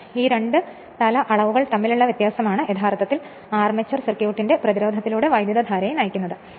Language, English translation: Malayalam, So, it is the difference between these two head quantities which actually drives current through the resistance of the armature circuit we will see later